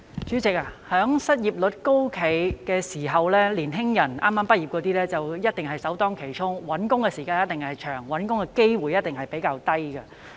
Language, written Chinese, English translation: Cantonese, 主席，在失業率高企的時期，剛剛畢業的年輕人一定首當其衝，找工作的時間一定長，機會也一定比較少。, President in a time when the unemployment rate is high young people who have just graduated will definitely be the first to bear the brunt . The time required to find a job will certainly be longer and the opportunities will surely be fewer